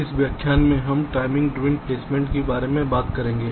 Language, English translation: Hindi, ah, in this lecture we shall be talking about timing driven placement